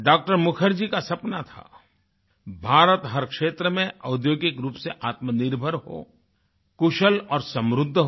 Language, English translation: Hindi, Mukherjee's dream was for India to be industrially selfreliant, competent and prosperous in every sphere